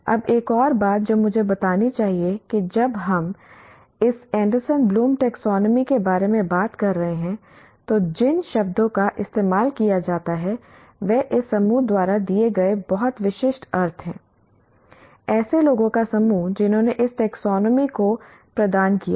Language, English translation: Hindi, Now one more thing I should point out that when we are talking about this Anderson Blooms taxonomy, the words that are used have very specific meaning given by this group, group of people who have provided this taxonomy